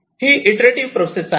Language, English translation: Marathi, this is an iterative process